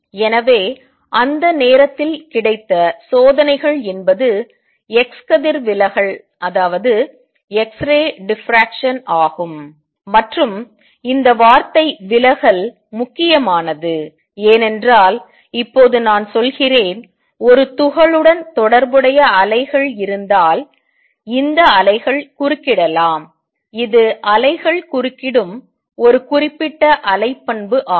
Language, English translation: Tamil, So, the experiments that were available that time was x ray diffraction, and this word diffraction is important because let me now say, if there are waves associated with a particle, these waves can interfere, that is a very specific wave property that waves interfere